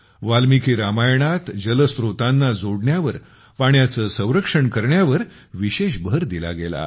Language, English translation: Marathi, In Valmiki Ramayana, special emphasis has been laid on water conservation, on connecting water sources